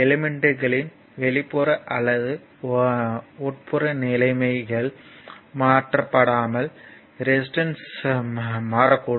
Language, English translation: Tamil, The resistance can change if the external or internal conditions of the elements are your altered